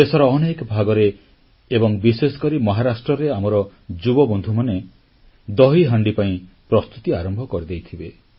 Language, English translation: Odia, In other parts of the country, especially Maharashtra, our young friends must be busy with preparations of the 'DahiHandi'…